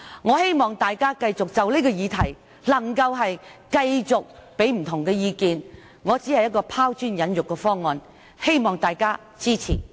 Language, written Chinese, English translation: Cantonese, 我希望大家就這項議題繼續給予不同意見，我只是提出拋磚引玉的方案，希望大家支持。, I hope that Members will continue to made various opinions on this issue . This proposal that I have made is only a sprat thrown to catch a mackerel . I hope Members will support this motion Thank you Members